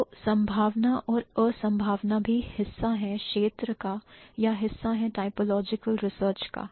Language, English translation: Hindi, So, the possibility and impossibility is also a part of the scope or is a part of the typological research